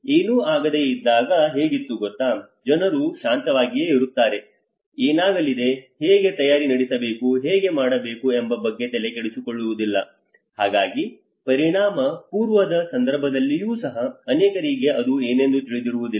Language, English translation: Kannada, You know how it was when nothing has happened people remained calm, they did not bothered about what is going to happen, how to prepare for it or how to, so even in the pre impact situations many at times people do not realise what it is going to happen